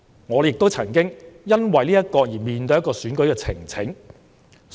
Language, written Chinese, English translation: Cantonese, 我也曾經因此要面對選舉呈請。, Owing to the accusation I had to face an election petition